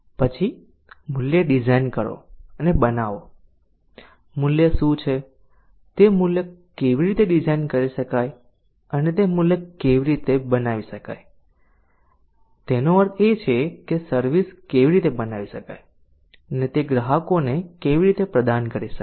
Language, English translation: Gujarati, then design and create value so what value how can that value be designed and how that value can be created that means how can the services be created and how they can be provide it to customers